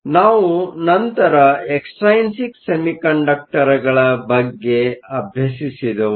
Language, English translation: Kannada, So, the next thing we looked at were the Extrinsic Semiconductors